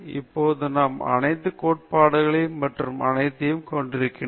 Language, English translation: Tamil, Now, that we have seen all the theories and all that – why